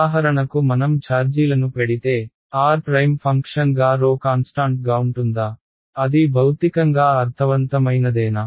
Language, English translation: Telugu, If I put will the charges for example, will the rho be constant as a function of r prime, is that physically meaningful